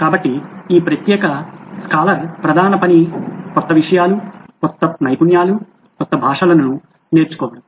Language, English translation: Telugu, So this particular scholar’s main job was to learn new things, new skills, new languages